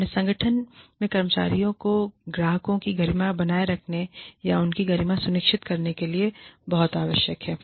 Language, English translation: Hindi, It is very essential to maintain the dignity, or to ensure the dignity of the employees, and the customers in your organization